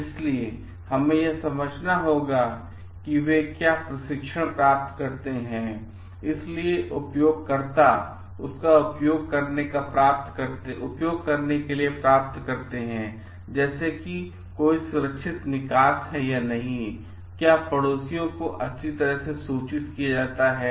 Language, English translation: Hindi, So, we have to understand like whether they get trainings, so the users get training of how to use it, is there a safe exit and neighbors are well informed ahead